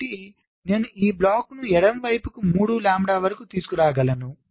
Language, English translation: Telugu, i can bring it to the left by, again, three lambda